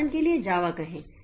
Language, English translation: Hindi, For example, say this Java